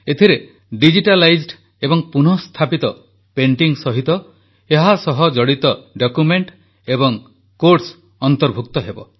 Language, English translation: Odia, Along with the digitalized and restored painting, it shall also have important documents and quotes related to it